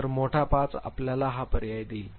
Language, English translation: Marathi, So, big 5 give you this option